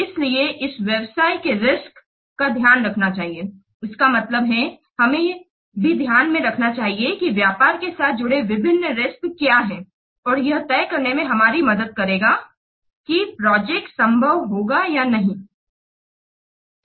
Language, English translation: Hindi, That means we also should consider taking into account what are the various risks, business risks associated with and that will help us in deciding whether the project will be feasible or not